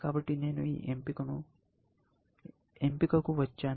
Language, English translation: Telugu, So, I came down to this option